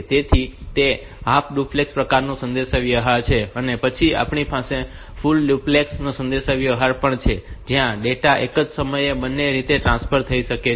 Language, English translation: Gujarati, So, that is half duplex type of communication and we have got full duplex where the data flows both ways at the same time